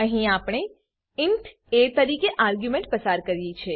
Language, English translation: Gujarati, Here we have passed an argument as int a